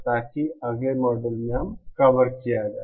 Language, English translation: Hindi, So that will be covered in the next module